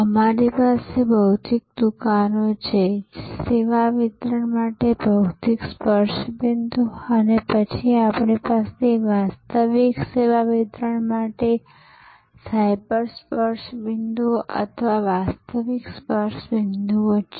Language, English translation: Gujarati, So, we have physical stores, physical touch points for service delivery and then, we have cyber touch points or virtual touch points for actual service delivery